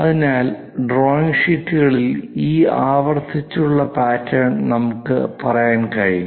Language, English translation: Malayalam, So, we can say this repeated pattern in the drawing sheets